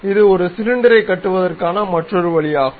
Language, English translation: Tamil, This is another way of constructing cylinder